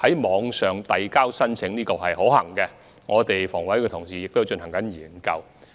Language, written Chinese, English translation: Cantonese, 網上遞交申請是可行的，房委會的同事亦正就此進行研究。, Online submission of applications is a feasible option and our colleagues in HA are examining the details in this regard